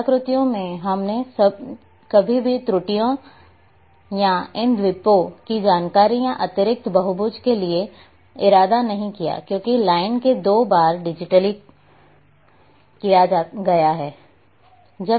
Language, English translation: Hindi, Artifacts these we never intended to have these errors or these islands of information or extra polygon, but because of line has been digitized twice these errors will come